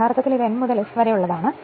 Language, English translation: Malayalam, So, this is actually and this is the from N to S